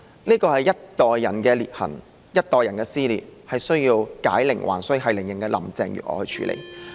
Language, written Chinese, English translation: Cantonese, 這是一代人的裂痕，一代人的撕裂，是需要繫鈴人林鄭月娥去處理的。, It is the rift of a generation the dissension of a generation which needs to be handled by Carrie LAM the person who created it in the first place